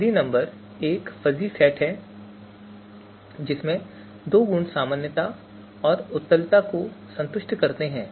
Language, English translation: Hindi, A fuzzy number is a fuzzy set having you know satisfying two properties normality and convexity